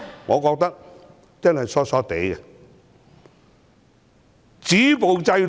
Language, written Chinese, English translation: Cantonese, 我覺得說這些話的人真的瘋了！, I think people who made such remarks are crazy!